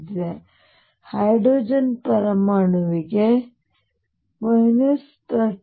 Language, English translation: Kannada, For example, for hydrogen atom it will be minus 13